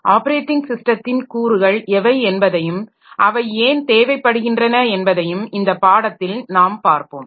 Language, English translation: Tamil, So, in this course we will see what are the components of an operating system and why is it needed